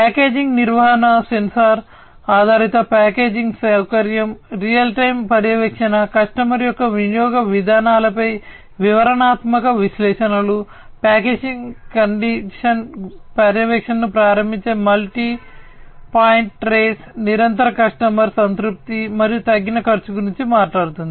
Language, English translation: Telugu, Packaging management talks about sensor based packaging facility, real time monitoring, detailed analytics on customers usage patterns, multi point trace enabling package condition monitoring, continued customer satisfaction, and reduced cost